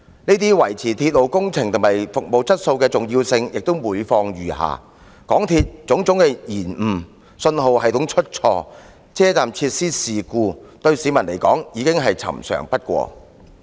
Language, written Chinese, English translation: Cantonese, 然而，維持鐵路工程和服務質素的重要性卻每況愈下，港鐵的種種延誤、信號系統出錯、車站設施發生事故，對市民來說已是司空見慣。, Yet maintaining the quality of railway projects and services has been accorded an even lower priority . MTRs delays problematic signalling systems and accidents involving station facilities have occurred so frequently that the citizens have grown accustomed to them